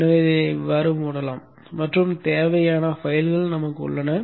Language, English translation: Tamil, So this can be closed and we have the required files